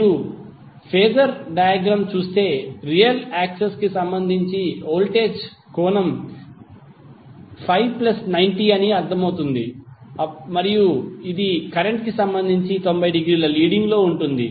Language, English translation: Telugu, So if you see the phasor diagram it is clear that voltage is having 90 plus Phi with respect to real axis and it is having 90 degree leading with respect to current